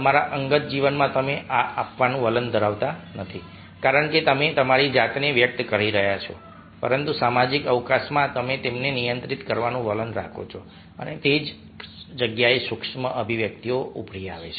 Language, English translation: Gujarati, in your personal life you don't to trend to give that because you are expressing yourself, but in social face you trend to control them, and that is where micro expressions emerge